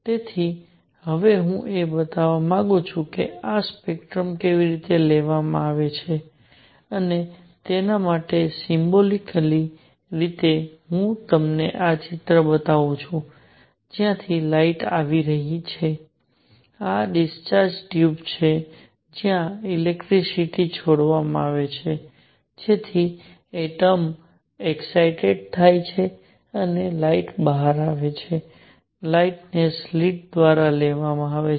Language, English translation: Gujarati, So, what I want to show now how is this spectrum taken and for that symbolically, I show you this picture where the light is coming from a; this is discharge tube where electricity is discharged so that the atoms get excited and light comes out, the light is taken through a slit